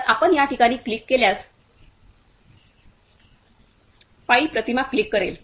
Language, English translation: Marathi, So, if you click on this place, the pi will click an image